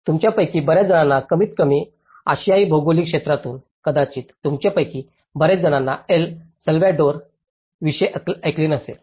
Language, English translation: Marathi, So many of you at least from the Asian geographies, many of you may not have heard of El Salvador